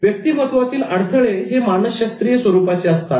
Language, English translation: Marathi, Personality barriers are psychological in nature